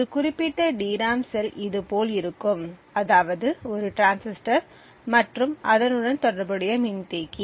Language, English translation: Tamil, One particular DRAM cell would look like this, there is a transistor and an associated capacitor